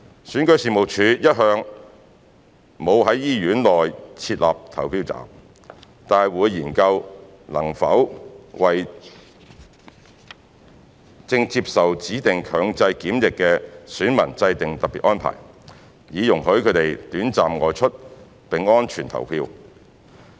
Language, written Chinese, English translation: Cantonese, 選舉事務處一向沒有在醫院內設立投票站，但會研究能否為正接受指定強制檢疫的選民制訂特別安排，以容許他們短暫外出並安全地投票。, The Registration and Electoral Office all along does not set up polling stations in hospitals but will explore whether special arrangements could be made for electors under compulsory quarantine to go out temporarily to cast their votes in a safely manner